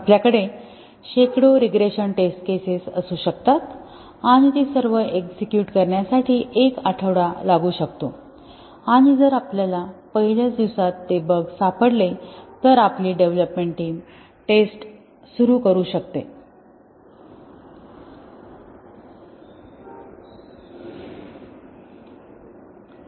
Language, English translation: Marathi, We might have hundreds of regression test cases and it may take a week to execute all of them and if we can detect that bugs in the very first day, we might get the development team started on the testing